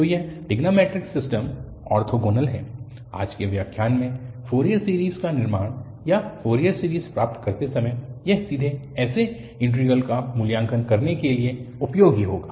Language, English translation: Hindi, So, this trigonometric system is orthogonal, so this will be useful for evaluating directly such integrals while constructing Fourier series or deriving Fourier series in today’s lecture